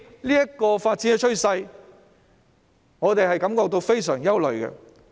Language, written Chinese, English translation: Cantonese, 這個發展趨勢令我們感到非常憂慮。, Such a trend of development is rather worrying